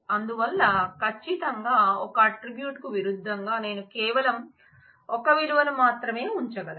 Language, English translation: Telugu, So, certainly against an attribute I can keep only one value